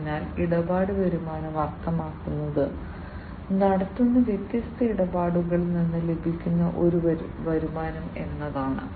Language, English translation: Malayalam, So, transaction revenues means, the revenues that are generated from the different transactions that are performed